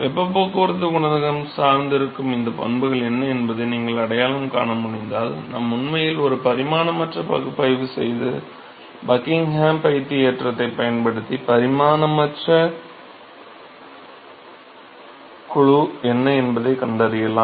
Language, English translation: Tamil, So, if you can identify what these properties are, on which the heat transport coefficient is going to depend upon, we could actually do a dimension less analysis and find out what is the dimension less group by using the Buckingham pi